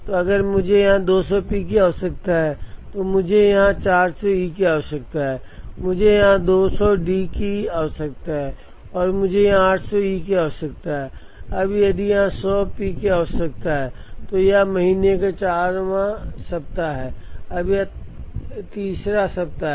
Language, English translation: Hindi, So, if I need 200 P here, I need 400 E here, I need 200 D here and I need 800 E here, now if need 100 P here, this is the 4 th week of the month, this is the 3 rd week of the month